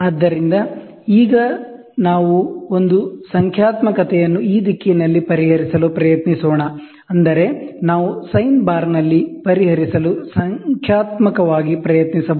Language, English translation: Kannada, So, now let us try to solve this one numerical in this direction, such that we can try numerical to solve in the sine bar